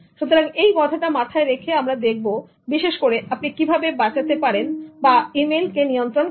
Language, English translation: Bengali, So, keeping this in mind, let us look at emails particularly and see how you can save time by managing emails